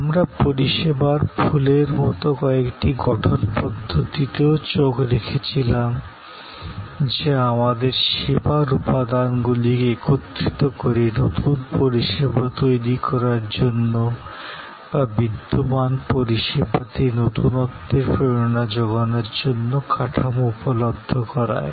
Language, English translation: Bengali, We also looked at certain architectural models, like the flower of service, which provide us frameworks for putting those service elements together to create a new service, to inspire innovation in an existing service and so on